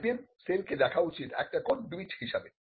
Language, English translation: Bengali, The IPM cell should be seen as a can do it